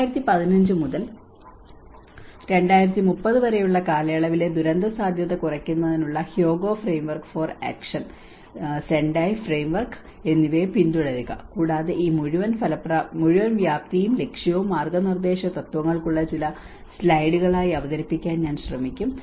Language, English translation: Malayalam, And follow up on the Hyogo Framework for Action, Sendai Framework for disaster risk reduction sets up like this 2015 to 2030, and I will try to present into few slides on how this whole scope and purpose to the guiding principles